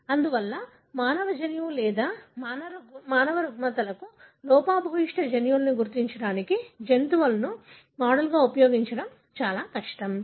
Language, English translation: Telugu, Therefore, it is extremely difficult to use, model animals to identify human genetic, or, or the defective genes for human disorders